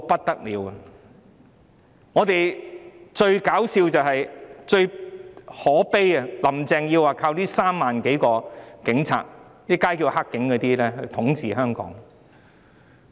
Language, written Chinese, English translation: Cantonese, 然而，最可笑又可悲的是，"林鄭"說要靠這3萬多個警察——市民現稱為"黑警"——來統治香港。, Nevertheless what is most laughable yet deplorable is that Carrie LAM said she has to count on these 30 000 - odd police officers―people call them dirty cops―to govern Hong Kong